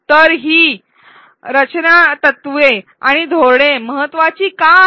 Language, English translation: Marathi, So, why are these design principles and strategies important